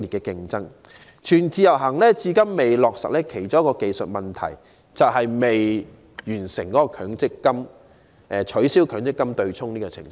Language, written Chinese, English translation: Cantonese, 令"全自由行"至今未能落實的其中一個技術問題，就是強積金對沖機制仍未取消。, One of the technical problems obstructing implementation of full portability of MPF benefits is that the offsetting arrangement has yet to be abolished